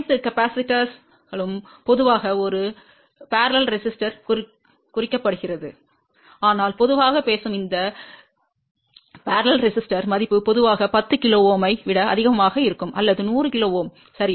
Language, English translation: Tamil, And all the capacitors are generally represented by a parallel resistor but generally speaking that parallel resistor value is in general greater than 10 kilo Ohm or even a 100 kilo Ohm, ok